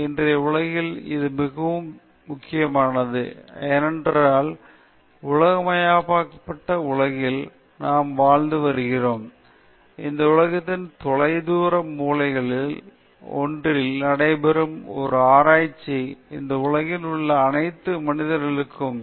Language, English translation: Tamil, And this is very important in todayÕs world, because we are living in a globalized world, and a research which takes place in one of the distant corners of this globe will have implications to all human beings in this world